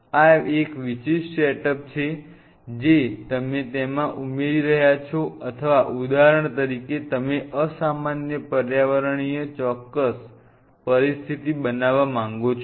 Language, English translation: Gujarati, This is one specialize setup your adding in to it or say for example, you wanted to create certain situation of unusual extreme environment situation